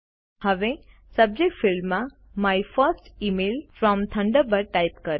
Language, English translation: Gujarati, Now, in the Subject field, type My First Email From Thunderbird